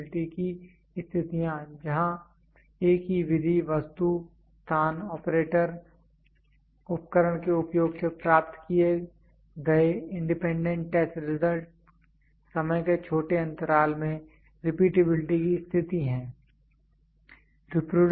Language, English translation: Hindi, Repeatability conditions where in independent test result obtained using the same method, item, place, operator, equipment within short interval of time repeatability conditions